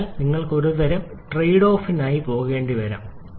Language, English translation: Malayalam, So, you may have to go for some kind of trade off